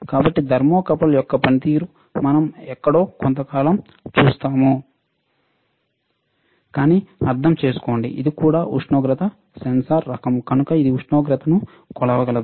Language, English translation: Telugu, This tip, this one is your thermocouple, all right So, we will see the function of thermocouple somewhere, sometime else, but understand that this is also kind of temperature sensor it can measure the temperature